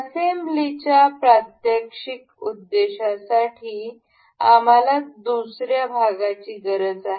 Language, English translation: Marathi, For the demonstration purpose of assembly we need another part